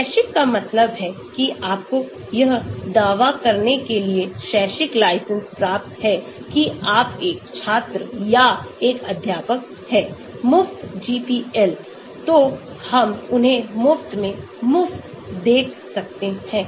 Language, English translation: Hindi, Academic means you get academic license claiming that you are a student or a faculty, free GPL, so we can see free, free of them